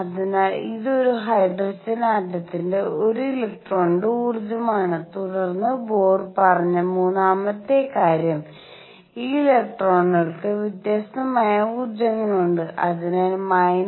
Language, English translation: Malayalam, So, this is the energy of an electron in hydrogen atom and then the third thing that Bohr said is that these electrons that have energies which are different, so minus 13